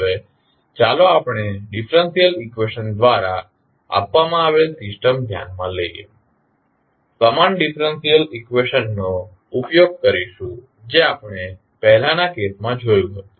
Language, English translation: Gujarati, Now, let us consider the system given by the differential equation same differential equation we are using which we saw in the previous case